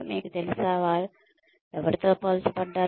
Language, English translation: Telugu, You know, who are they been compared to